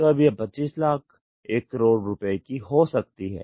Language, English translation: Hindi, So, now, it has gone even to 25 lakhs, 1 crore